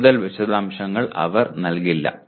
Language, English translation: Malayalam, They will not give further details